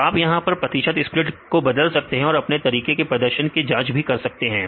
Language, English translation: Hindi, So, you can change this percentage split and you can try to evaluate in the performance of the method fine